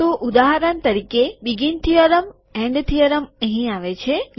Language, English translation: Gujarati, So for example, begin theorem, end theorem, it comes here